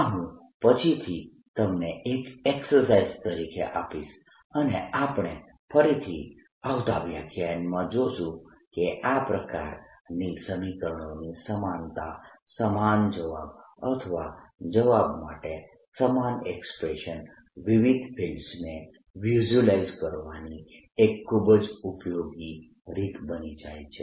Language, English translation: Gujarati, this i'll give as an exercise later and we will again see in coming lectures, that this kind of similarity of equations, these two same answers or same expressions for the answers, and that becomes a very useful way of visualizing different feels